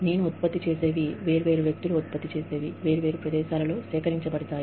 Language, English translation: Telugu, What I produce, what different people produce, in different places, gets collected